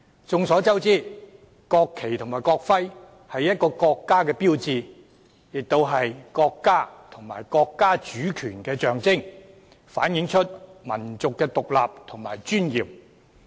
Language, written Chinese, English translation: Cantonese, 眾所周知，國旗及國徽是一個國家的標誌，亦是國家和國家主權的象徵，反映民族的獨立和尊嚴。, Everyone knows that the national flag and national emblem are the icons of a country . Not only are they the symbols of a country and its sovereignty they also represent the independence and dignity of a nation